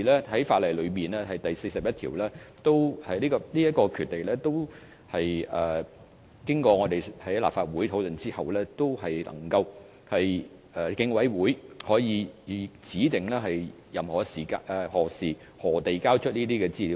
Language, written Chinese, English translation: Cantonese, 《條例》第41條所賦予的權力，是立法會經過討論後賦予競委會的權力，可指定何時或以甚麼方式提交這些資料。, The power under section 41 of the Ordinance is conferred on the Commission following discussions in the Legislative Council . The Commission may specify the time and the manner in which any information is to be provided